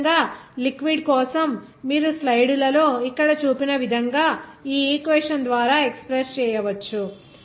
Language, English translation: Telugu, Similarly, for liquid you can express by this equation as shown in here in the slides